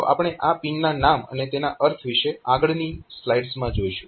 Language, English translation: Gujarati, So, we will see about this pin this name of this pins and there meaning in successive slides